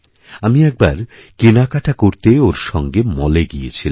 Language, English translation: Bengali, I went for shopping with her at a mall